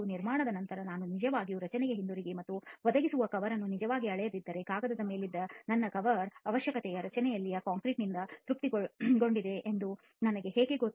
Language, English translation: Kannada, Unless I really go back to the structure after construction and actually measure the cover that has been provided, how do I know that my cover requirement which was on paper has been satisfied by the concrete in the structure